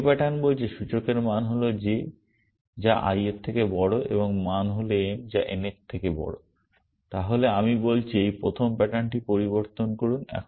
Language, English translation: Bengali, The second pattern says index value is j which is greater than i and the value is m which is greater than n then I am saying modify this first pattern